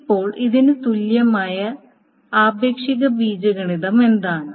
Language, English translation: Malayalam, Now what is the equivalent relational algebra expression for this